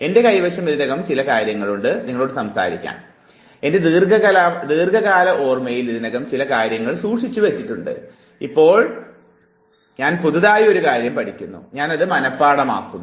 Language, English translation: Malayalam, I already have something in my stack; I have some already stored something in my long term memory, now I learn a new thing, I memorize it